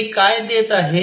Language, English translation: Marathi, What does these give